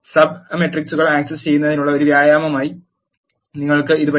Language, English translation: Malayalam, You can try this as an exercise for accessing sub matrices